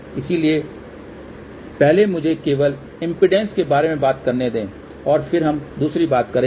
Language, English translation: Hindi, So, let me first talk about only impedance and then we will talk about other thing